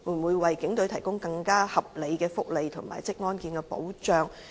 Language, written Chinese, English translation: Cantonese, 會否為警隊提供更合理的福利和職安健保障？, Will the authorities provide the police force with more reasonable welfare and occupational safety protection?